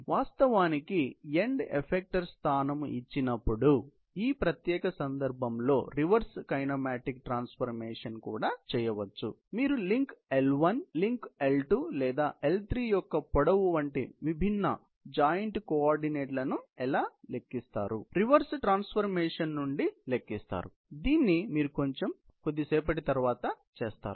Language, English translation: Telugu, So, we can actually, write down the reverse kinematic transformation in this particular case by just changing, given the end effecter position, how will you calculate the different joint coordinates like what is the link L, length of the link L2 or L3; you can find out from the reverse transformation that will do a little bit later